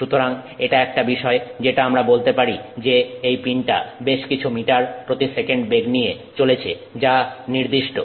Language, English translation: Bengali, We can say that you know it is the pin is being subjected to so many meters per second speed that is defined